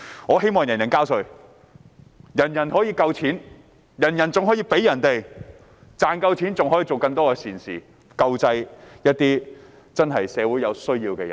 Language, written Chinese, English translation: Cantonese, 我希望人人交稅，人人都有足夠的錢，更可以為別人付出，可以做更多善事，救濟社會上有需要的人。, It is my wish that everyone has to pay tax has enough money to spend is willing to give and does good deeds to help the needy in society